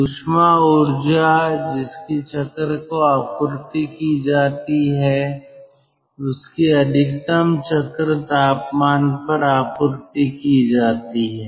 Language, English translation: Hindi, all of the thermal energy which has to be supplied to the cycle is supplied to the cycle at the maximum cycle temperature